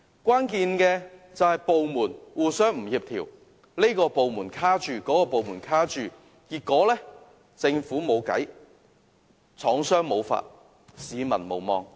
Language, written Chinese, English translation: Cantonese, 關鍵原因是政府部門互不協調，這個部門卡着，那個部門卡着，結果政府無計，廠戶無法，市民無望。, The key reason is the incoordination among government departments and each department sets different hurdles . In the end the Government is at its wits end factory owners are helpless and the people hopeless